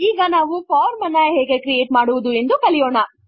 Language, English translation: Kannada, Now, let us learn how to create a form